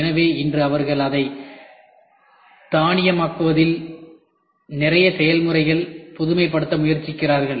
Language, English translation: Tamil, So, today they are trying to innovate lot of processes in automating it